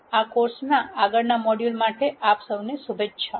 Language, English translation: Gujarati, Wish you all the best for the next modules in this course